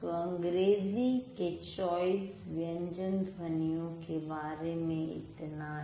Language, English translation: Hindi, So, this is all about the 24 consonant sounds that English has